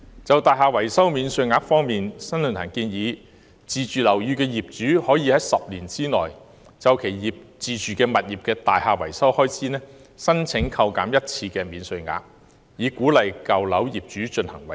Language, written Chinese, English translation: Cantonese, 在"大廈維修免稅額"方面，新世紀論壇建議自住樓宇業主可以在10年內就其自住物業的大廈維修開支申請一次免稅額扣減，以鼓勵舊樓業主進行維修。, As regards the building repairs allowance the New Century Forum proposes allowing owner - occupiers of buildings to claim an allowance for the building repairs expenses of their self - occupied properties once within 10 years so as to incentivize owners of old buildings to carry out repair works